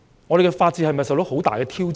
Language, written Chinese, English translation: Cantonese, 我們的法治是否受到很大挑戰？, Is the rule of law in Hong Kong under great threat?